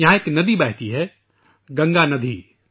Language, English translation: Urdu, A river named Naagnadi flows there